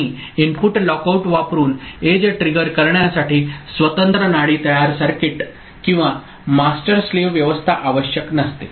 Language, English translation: Marathi, And edge triggering using input lockout does not require separate pulse forming circuit or master slave arrangement